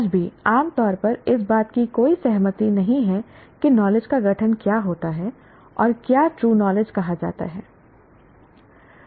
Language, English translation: Hindi, Even today, there is no commonly agreed definition of what constitutes knowledge and what constitutes what constitutes what is called true knowledge